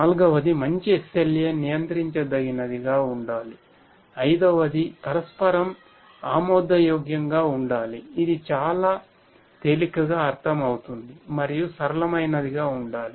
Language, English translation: Telugu, Fourth is that a good SLA should be controllable, fourth fifth is that it should be mutually acceptable which is also quite will you know easily understood and should be affordable